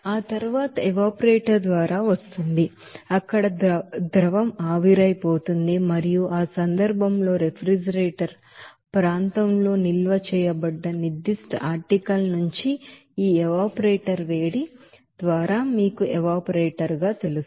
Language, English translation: Telugu, And after that it will be coming through the evaporator where this you know liquid will be evaporated and in that case by this evaporator heat from the certain article that is stored in refrigerator area that will be you know coming into that you know evaporator